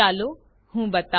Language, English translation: Gujarati, Let me demonstrate